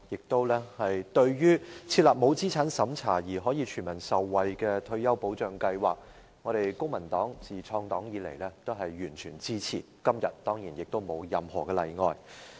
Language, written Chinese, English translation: Cantonese, 對於設立沒有資產審查而可令全民受惠的退休保障計劃，我們公民黨自創黨以來都完全支持，今天當然也不例外。, On the establishment of a non - means - tested retirement protection system to the benefit of all the people the Civic Party has since inception fully supported it and today is certainly no exception